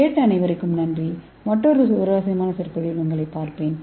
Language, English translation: Tamil, I thank you all for listening, I will see you in another interesting lecture